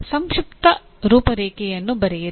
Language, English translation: Kannada, Write a brief outline …